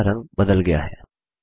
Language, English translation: Hindi, The color of the text has changed